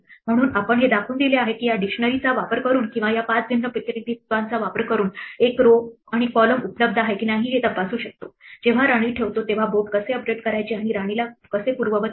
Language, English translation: Marathi, So, we have shown that using these dictionary or these 5 different representations we can check whether a row and column is available, how to update the board when we place a queen and we undo the queen